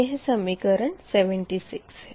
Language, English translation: Hindi, this is equation seventy six, right